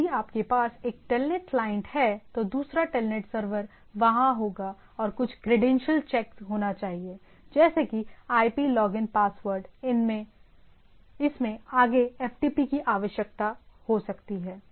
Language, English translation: Hindi, So, if you have a Telnet client the other end Telnet server will be there and there should be some credential check that IP login password and so and so forth to go there, further matter in FTP also we require those things to be there